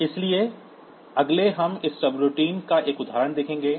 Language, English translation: Hindi, So, next we will see an example of this subroutine